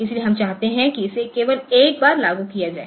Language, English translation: Hindi, So, we want it to be invoked only once